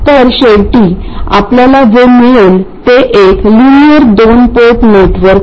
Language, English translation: Marathi, So, what we get finally is a linear two port network